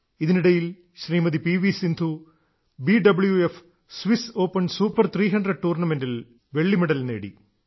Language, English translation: Malayalam, Meanwhile P V Sindhu ji has won the Silver Medal in the BWF Swiss Open Super 300 Tournament